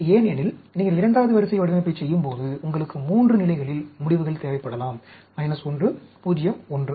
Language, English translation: Tamil, Because, when you are doing second order design, you may require the results at 3 levels, minus 1, 0, 1